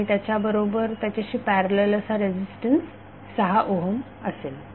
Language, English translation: Marathi, And then there will be a resistance in parallel that will be 6 ohm resistance